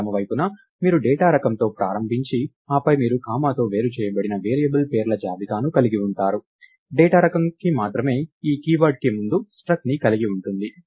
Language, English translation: Telugu, So, on the left side you start with the data type and then you have a comma separated list of variable names, only that the data type has, this keyword struct in front of it and the name that we have assigned to the data type